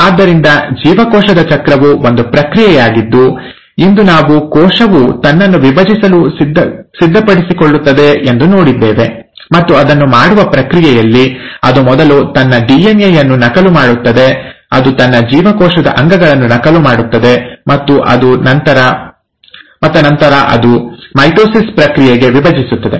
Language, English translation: Kannada, So, we saw today that cell cycle is a process by which cell prepares itself to divide and in the process of doing it, it duplicates its DNA first, it duplicates its cell organelles, and then it actually divides to the process of mitosis